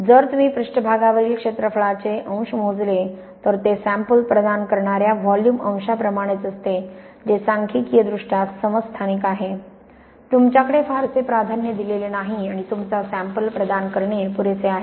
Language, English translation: Marathi, If you measure the area fraction on a surface it is the same as the volume fraction providing the sample is statistically isotropic, you do not have very preferred orientation and providing your sampling is big enough